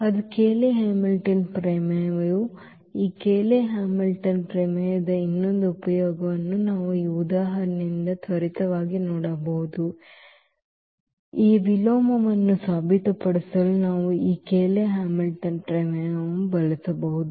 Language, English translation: Kannada, So, that is what the Cayley Hamilton theorem is; another use of this Cayley Hamilton theorem we can quickly look from this example we can use this Cayley Hamilton theorem to prove this A inverse